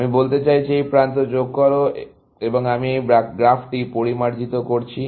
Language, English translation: Bengali, I am saying, add this edge, and I am refining this graph